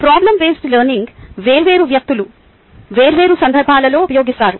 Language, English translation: Telugu, the problem based learning is used by different people in different contexts